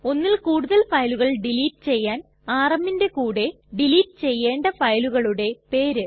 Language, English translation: Malayalam, To delete multiple files we write rm and the name of the multiple files that we want to delete